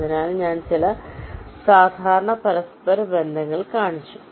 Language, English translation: Malayalam, so i have shown some typical interconnections